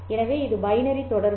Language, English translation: Tamil, These are the binary letters